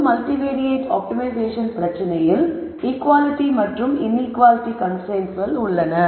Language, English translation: Tamil, So, general multivariate optimization problem we can say has both equality and inequality constraints